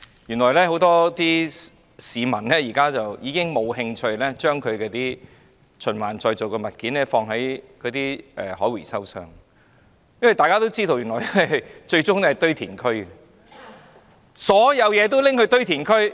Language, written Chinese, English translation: Cantonese, 原來很多市民已經再無興趣將可循環再造的物料放入回收箱，因為大家也知道這些物料最終也是落入堆填區。, Many people are no longer interested in putting recyclable materials into recycling bins for they know that these materials will end up in the landfills